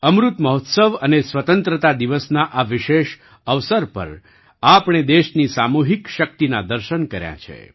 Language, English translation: Gujarati, On this special occasion of Amrit Mahotsav and Independence Day, we have seen the collective might of the country